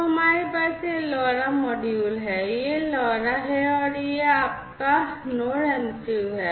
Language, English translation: Hindi, So, we have this is this LoRa module, this is this LoRa and this is your Node MCU, right